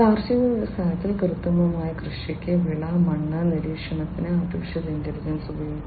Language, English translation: Malayalam, In the agriculture industry AI could be used for crop and soil monitoring, for precision agriculture